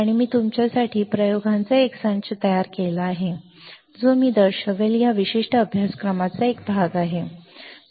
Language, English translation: Marathi, And I have prepared a set of experiments for you guys which I will show is a part of this particular course